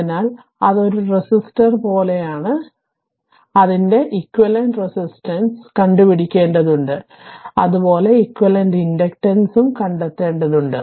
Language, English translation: Malayalam, So, it is like a resistor you have to find out equivalent, the way we have found out equivalent resistance there also you have to find out equivalent inductance